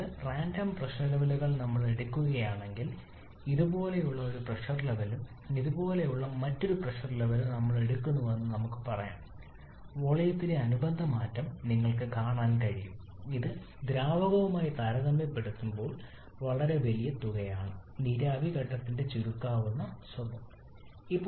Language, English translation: Malayalam, Like if we pick up two random pressure level let us say we pick up one pressure level like this and another pressure level like this you can see corresponding change in volume is this much which is a very large amount in comparison with the liquid that is because of the compressible nature of the vapour phase